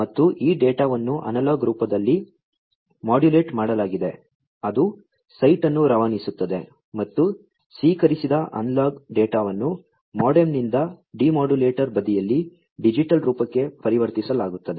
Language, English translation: Kannada, And, this data is modulated into analog form at it is transmitting site and the received analog data, by the MODEM is transformed into the digital form at the demodulator side